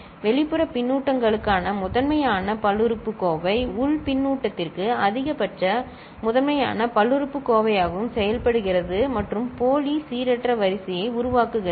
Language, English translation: Tamil, Primitive polynomial for external feedback also works as maximal, primitive polynomial for internal feedback and generates pseudo random sequence, clear